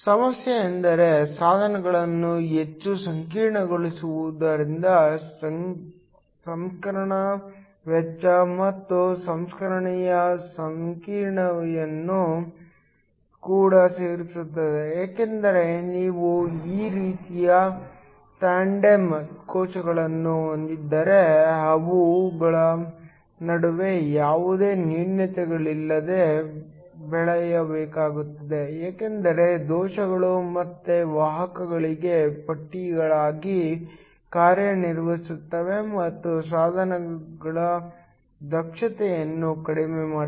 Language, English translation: Kannada, The problem of course, is that making the devices more complex also adds on to the processing cost and the processing complexity because if you have tandem cells like these then have to be grown with no defects between them because defects will again act as straps for carriers and will reduce the efficiency of the device